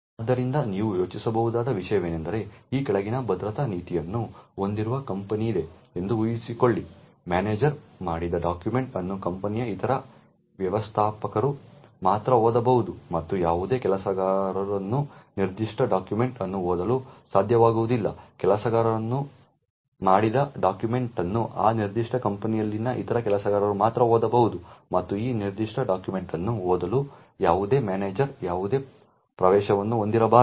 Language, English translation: Kannada, So this is something you can think about is assume that there is a company which has the following security policy, a document made by a manager can be only read by other managers in the company and no worker should be able to read that particular document, document made by a worker can be only read by other workers in that particular company and no manager should have any access to read that particular document